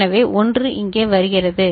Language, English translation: Tamil, So, 1 comes here